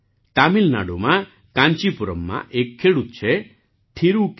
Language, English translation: Gujarati, In Tamil Nadu, there is a farmer in Kancheepuram, Thiru K